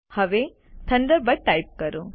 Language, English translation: Gujarati, Now type Thunderbird